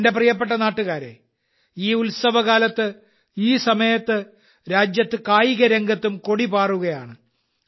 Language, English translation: Malayalam, My dear countrymen, during this festive season, at this time in the country, the flag of sports is also flying high